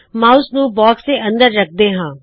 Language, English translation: Punjabi, Keep the mouse inside the box